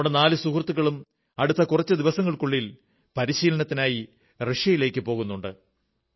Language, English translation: Malayalam, Our four friends are about to go to Russia in a few days for their training